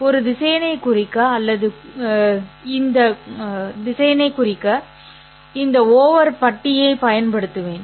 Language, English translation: Tamil, I will be using this over bar to represent or to denote a vector